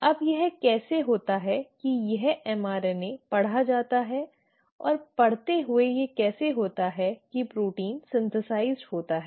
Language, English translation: Hindi, Now how is it that this mRNA is read, And having read how is it that the protein is synthesised